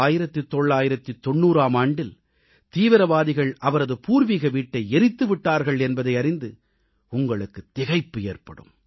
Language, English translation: Tamil, You will be surprised to know that terrorists had set his ancestral home on fire in 1990